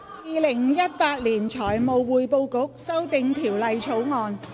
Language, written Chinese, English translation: Cantonese, 《2018年財務匯報局條例草案》。, Financial Reporting Council Amendment Bill 2018